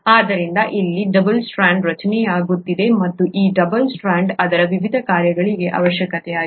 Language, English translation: Kannada, So this is how the double strand is getting formed here and this double strand becomes essential for its various functions